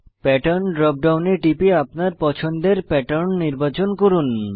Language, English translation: Bengali, Click on Pattern drop down, to select a pattern of your choice